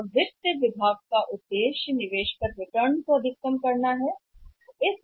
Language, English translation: Hindi, And objective of finance department is to maximize the return on investment to maximize the return on investment